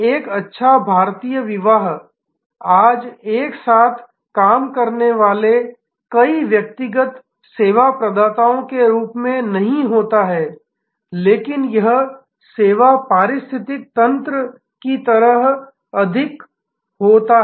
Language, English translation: Hindi, A good Indian wedding today not does not happen as a number of individual service providers working together, but it happens more like a service ecosystem